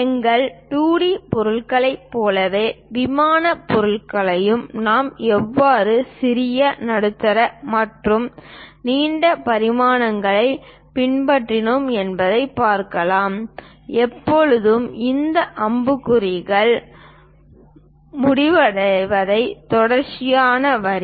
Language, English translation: Tamil, Similar to our 2D objects, plane objects how we have followed smallest, medium and longest dimensions we show it in that way, always a continuous line followed by this arrow heads terminating